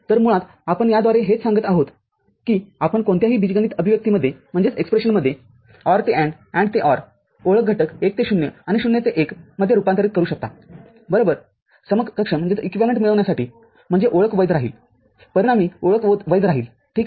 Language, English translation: Marathi, So, basically what we are telling by this that you convert OR to AND, AND to OR identity elements 1 to 0 and 0 to 1 in a any algebraic expression – right, to get an equivalent I mean, the identity will remain valid the resulting identity will remain valid, ok